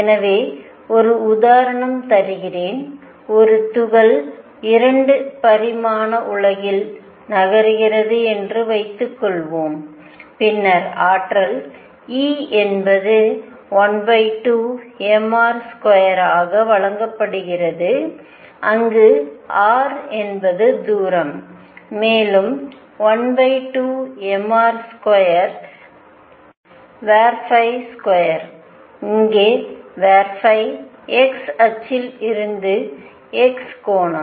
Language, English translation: Tamil, So, let me give you an example, suppose a particle is moving in a 2 dimensional world then the energy, E is given as 1 half m r dot square where r is the distance, plus one half m r square phi dot square where phi is the angle from the x axis